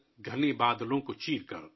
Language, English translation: Urdu, To slice the densest of clouds